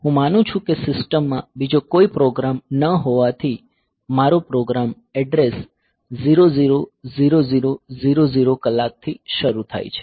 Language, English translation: Gujarati, So, I assume that since the program is there is no other program in the system the; my program originates at address 0 0 0 0 h